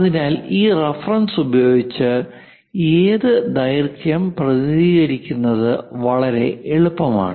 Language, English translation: Malayalam, So, with this reference it is quite easy to represent up to which length up to which length up to which length